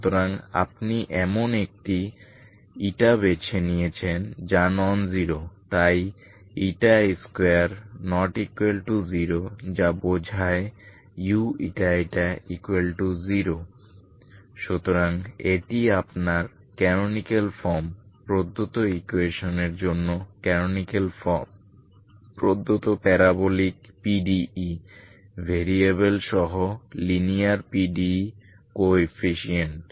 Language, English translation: Bengali, So you have chosen eta such a way that is non zero so you so eta square cannot be zero that implies U eta eta equal to zero so this your canonical form, canonical form for the given equation, for the given parabolic PDE, parabolic PDE, linear PDE with variable coefficient